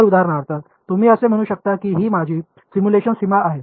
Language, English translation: Marathi, So, you can for example, say that this is going to be my simulation boundary ok